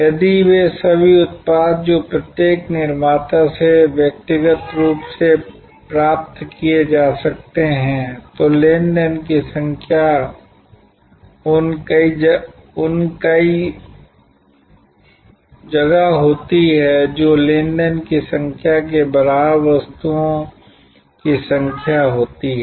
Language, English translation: Hindi, If all those products that could be sourced individually from each manufacturer, then the number of transactions would have been those many, the number of items equal to the number of transactions